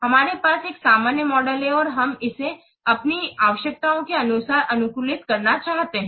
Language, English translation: Hindi, We have to a generic model is there and why we want to customize it according to our own needs